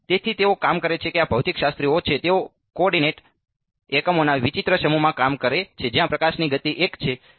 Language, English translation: Gujarati, Yeah so, they work these are physicist they work in a strange set of coordinate units where speed of light is 1 ok